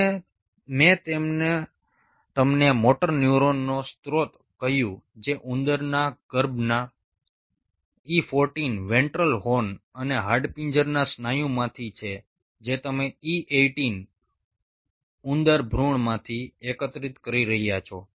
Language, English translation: Gujarati, and i told you the source of motor neuron, which is from the e fourteen ventral horn of the rat embryo and skeletal muscle you are collecting from e eighteen rat fetus